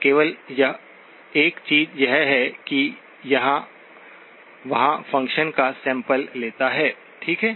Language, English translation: Hindi, The only thing is that it samples the function there, okay